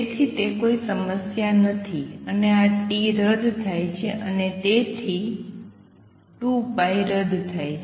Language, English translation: Gujarati, So, that is not an issue, and this t cancels and therefore, and 2 pi cancels